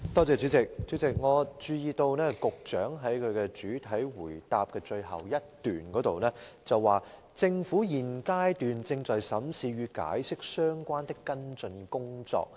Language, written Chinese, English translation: Cantonese, 主席，我注意到局長在其主體答覆最後一段提到，"政府現階段正在審視與《解釋》相關的跟進工作。, President I have noted that the Secretary says in the last paragraph of his main reply that [t]he Government is examining the follow - up work in connection with the Interpretation